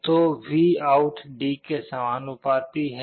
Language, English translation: Hindi, So, VOUT is proportional to D